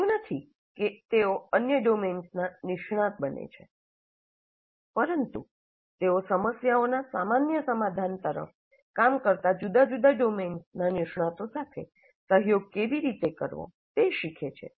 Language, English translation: Gujarati, It's not that they become experts in the other domains, but they learn how to cooperate, collaborate with experts from different domains working towards a common solution to the problem at hand